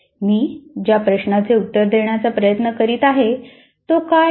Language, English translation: Marathi, So what is the question I am trying to answer